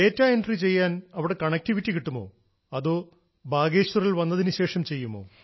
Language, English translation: Malayalam, O…was connectivity available there or you would do it after returning to Bageshwar